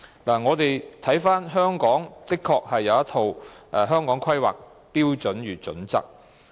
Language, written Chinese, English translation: Cantonese, 翻查資料，香港確實已制訂《香港規劃標準與準則》。, According to past records the Hong Kong Planning Standards and Guidelines HKPSG has indeed been formulated by the Government